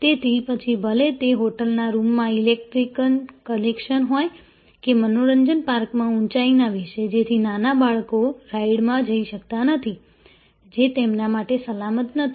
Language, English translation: Gujarati, So, whether it is in the electrical connections in the hotel room or the height bar at the amusement park so, that young children cannot go to rides, which are not the safe for them